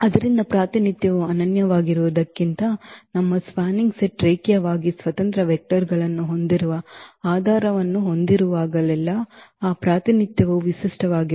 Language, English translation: Kannada, So, that representation will be also unique whenever we have the basis our spanning set is having linearly independent vectors than the representation will be also unique